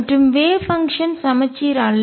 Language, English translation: Tamil, And the wave function is not symmetric